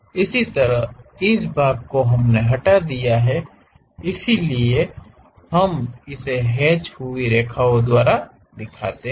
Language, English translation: Hindi, Similarly this part we have removed it; so, we show it by hatched lines